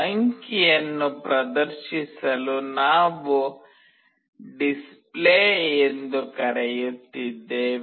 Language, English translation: Kannada, We are calling Display to display the digit